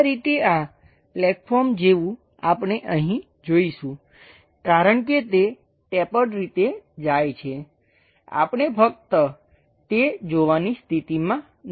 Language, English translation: Gujarati, This is the way this flat form kind of thing we will see it here, because its going in a tapered direction, we may not be in a position to see only that